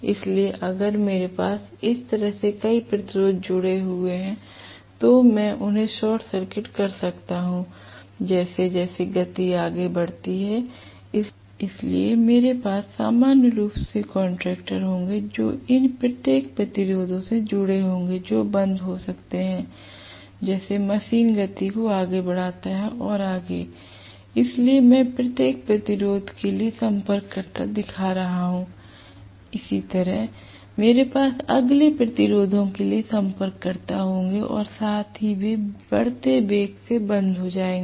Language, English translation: Hindi, So, if I have multiple number of resistances connected like this I can short circuit them as the speed increases further and further, so I will have normally contactors connected across each of these resistances like this which can be closed as the machines gains speed further and further, so I am just showing contactors for each of these resistances right, so similarly, I will have contactors for the next resistances as well they will be closed as the motor gains velocity further and further right